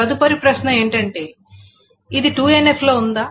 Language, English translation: Telugu, The question then comes, is it in 3NF